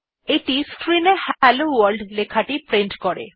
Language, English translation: Bengali, This prints the customary Hello World message on the screen